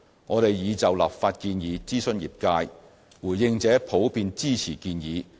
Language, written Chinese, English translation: Cantonese, 我們已就立法建議諮詢業界，回應者普遍支持建議。, We consulted the industry on the legislative proposal and the response was positive